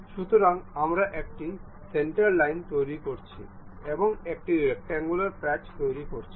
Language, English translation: Bengali, So, a centre line we have constructed, and a rectangular patch